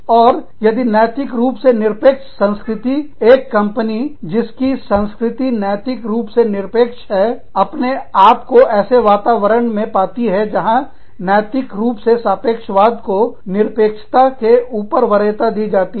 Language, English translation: Hindi, And, if an ethically absolutist culture, a company, that has an ethically absolutist culture, finds itself in an environment, where ethical relativism is prioritized over absolutism